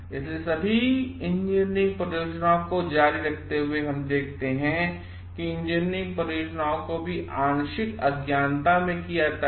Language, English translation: Hindi, So, continuing the discussion we see like for all engine projects, engineering projects are also carried out in partial ignorance